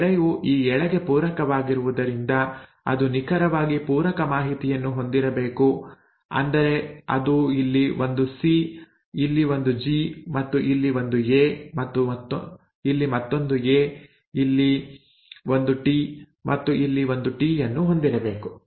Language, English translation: Kannada, Now since this strand was complementary to this strand, it should exactly have the complementary information, which is it should have had a C here, a G here, right, and A here, another A here, a T here and a T here